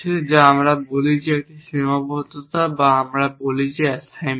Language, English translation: Bengali, So, we have some definitions we say that a constraint or we say that assignment